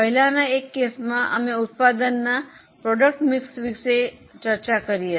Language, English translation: Gujarati, So, in one of the earlier cases we are discussed about product mix